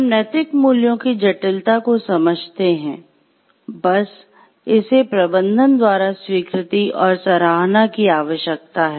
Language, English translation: Hindi, And we understand the full complexity of the ethical values, it needs to be acknowledged and appreciated by the management